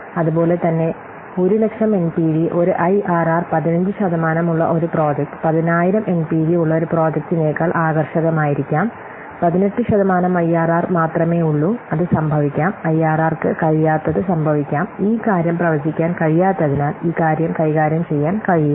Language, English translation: Malayalam, Similarly, it might happen the case that a project with an NPV of 1 lakh with an IRR of 15 percent, it may be more attractive than one project with an MPP of 10,000 only with an error of 18% that might happen but IRR what is unable to what predict this thing is unable to handle this thing under certain conditions it is possible to find more than one rate that will produce 0 NPF